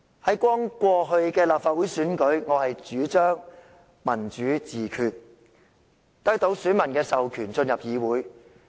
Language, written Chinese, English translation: Cantonese, 在剛過去的立法會選舉，我主張"民主自決"，得到選民的授權，進入議會。, In the last Legislative Council Election I advocated democratic self - determination and won the authorization of voters to enter the Council